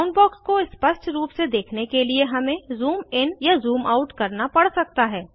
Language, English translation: Hindi, To view the Boundbox clearly, we may have to zoom in or zoom out